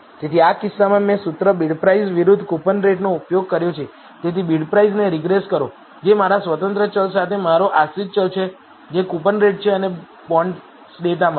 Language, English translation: Gujarati, So, in this case I have used the formula bidprice versus coupon rate so regress bidprice, which is my dependent variable with my independent variable which is coupon rate and from the data bonds